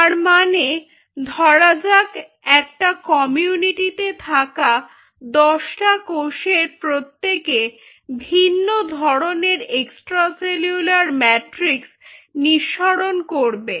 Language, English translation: Bengali, like you know, cell community of cells, like ten cells will become, will secrete different kinds of extracellular matrix